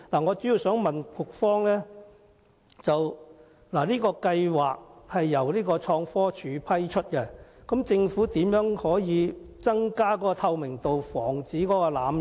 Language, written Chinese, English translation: Cantonese, 我主要想問局方，計劃由創科署批出配額，政府如何可以增加透明度，防止濫用？, Quotas are vetted and approved by ITC so how can the Government increase the transparency of the scheme and prevent the abuses?